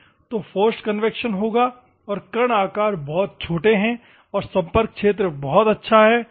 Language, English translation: Hindi, So, force convection will take place and particle sizes are very small and the contact area is very good